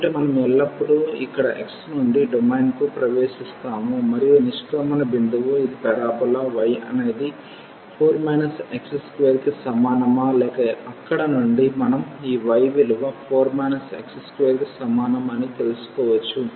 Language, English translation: Telugu, So, always we are entering here to the domain from x is equal to 1 and the exit point is this a parabola y is equal to 4 minus x square or from there we can get this y is equal to 4 minus x square